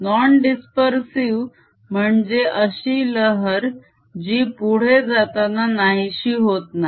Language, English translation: Marathi, by non dispersive i mean a wave that does not distort as it moves